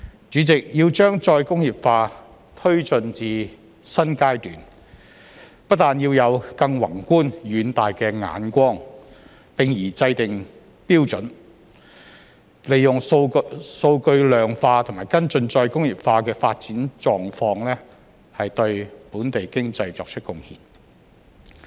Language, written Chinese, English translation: Cantonese, 主席，要將再工業化推進至"新階段"，不但要有更宏觀遠大的眼光，並宜制訂標準，利用數據量化和跟進再工業化的發展狀況，對本地經濟作出貢獻。, President the promotion of re - industrialization to a new phase needs more than a broader vision . We should also formulate standards to quantify and follow up the development of re - industrialization so as to make contribution to the local economy